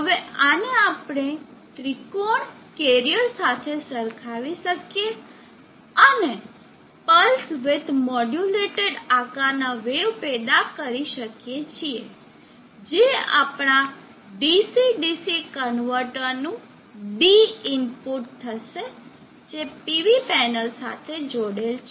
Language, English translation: Gujarati, Now this we can compare it with a triangle way form, a triangle carrier, and generate a pulse with modulated wave shape, this will be the D input to our DC DC converter which is interfacing the PV panel